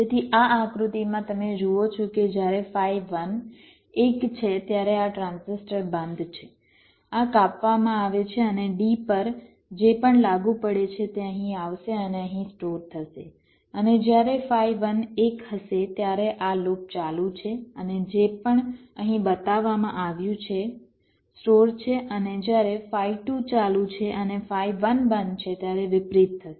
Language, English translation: Gujarati, so so in this diagram you see, when phi one is one, then this transistor is off, this is cut, and whatever is applied at d will come here and get stored here, and when phi one is one, this loop is on and whatever is shored here is stored